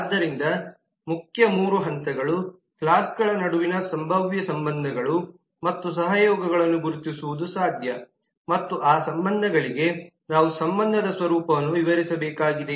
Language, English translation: Kannada, so the main three steps are the possible identifying the possible relationships and collaborations between classes and for those relationships we need to describe the nature of the relationship